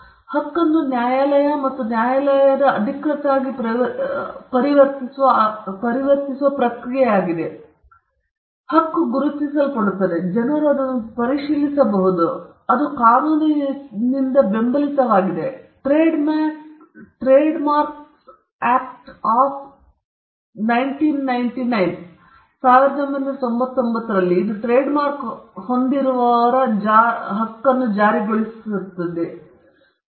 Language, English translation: Kannada, So, registration is the process by which these right become court and court official; it’s recognized; people can verify it; and it is also, because it is backed by a law the Trademarks Act of 1999, is what gives the trademark holder a right to enforce it